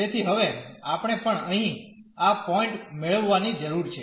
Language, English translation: Gujarati, So, now, we also need to get this point here